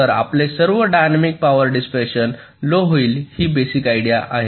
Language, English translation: Marathi, so over all, your dynamic power dissipation will decrease